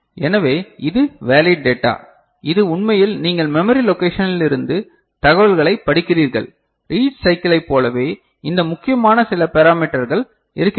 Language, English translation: Tamil, So, this is the valid data where this actually you are reading the information from the memory location right, similar to read cycle we have some of these important parameters right